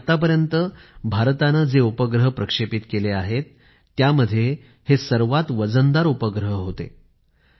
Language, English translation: Marathi, And of all the satellites launched by India, this was the heaviest satellite